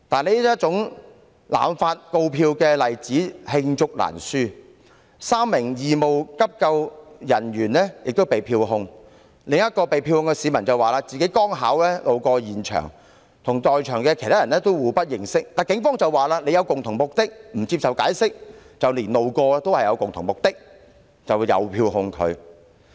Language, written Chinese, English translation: Cantonese, 這種濫發告票的例子罄竹難書，例如有3名義務急救人員被票控，另一名被票控市民則指自己剛巧路過，跟其他在場人士互不認識，但警方卻指稱他們具有共同目的，不接受解釋，連路過的人也遭到票控。, There are countless such examples of indiscriminate issuance of fixed penalty tickets such as those issued to three volunteers providing first aid services . In another case a fixed penalty ticket was issued to a citizen who claimed that he was just passing by and did not know any person at the scene but his explanation was not accepted by the Police because it was alleged that they shared a common purpose . Fixed penalty tickets can thus be issued to even passers - by